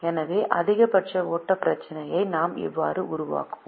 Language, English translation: Tamil, so this completes the formulation of the maximum flow problem